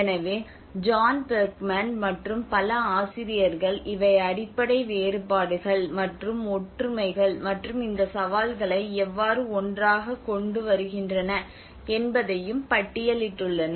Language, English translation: Tamil, So one is you have John Berkman, and many other authors have listed out these are the fundamental differences and similarities you know how they are they have these challenges bringing them together